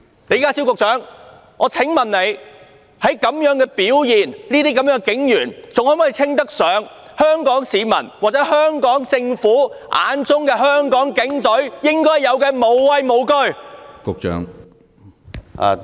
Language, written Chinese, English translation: Cantonese, 李家超局長，我想問這種表現的警員，在香港市民或香港政府眼中，還能否稱得上具有香港警隊應有的"無畏無懼"的精神？, Secretary John LEE considering the performance of these police officers do you think that in the eyes of Hong Kong people or the Hong Kong Government the Hong Kong Police Force still champions the spirit of without fear?